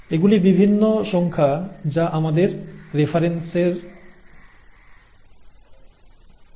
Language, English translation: Bengali, These are various numbers that are given for our reference